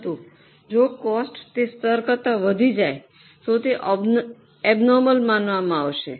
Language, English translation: Gujarati, But if the cost exceed that level, then that will be considered as abnormal